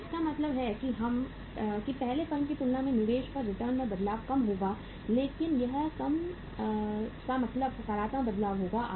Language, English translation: Hindi, So it means the change in the return on investment will be low as compared with the first firm but that low will be means a positive change